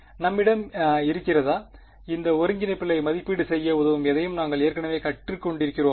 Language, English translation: Tamil, Do we have; have we learned anything already which helps us to evaluate these integrals